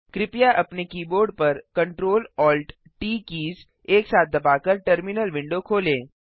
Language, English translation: Hindi, Please open the terminal window , by pressing Ctrl+Alt+T keys simultaneously on your keyboard